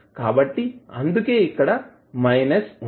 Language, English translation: Telugu, So, that is why it is minus